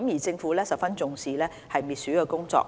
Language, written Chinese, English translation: Cantonese, 政府一直十分重視滅鼠工作。, The Government has attached great importance to anti - rodent work